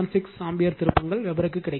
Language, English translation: Tamil, 76 ampere turns per Weber